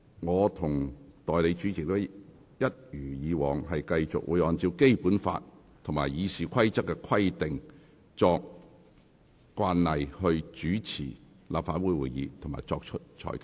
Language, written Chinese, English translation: Cantonese, 我和代理主席一如既往，會按照《基本法》和《議事規則》的規定，並參照過往慣例來主持立法會會議及作出裁決。, As always I and the Deputy President will preside Council meetings and issue our rulings in accordance with the Basic Law and RoP as well as drawing reference from previous precedents